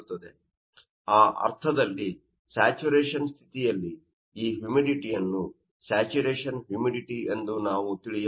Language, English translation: Kannada, So, in that sense at saturation condition, we can you know called this you know humidity as saturation humidity